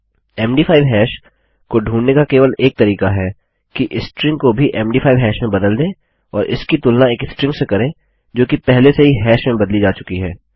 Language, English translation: Hindi, The only way to find out an MD5 hash is to convert a string to an MD5 hash as well and compare it to a string that has already been converted to a hash